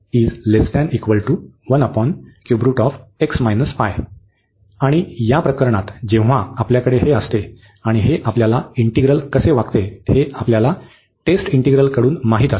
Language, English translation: Marathi, And in this case when we have this so and we know about from the test integral, how this integral behaves